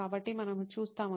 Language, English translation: Telugu, So, we will see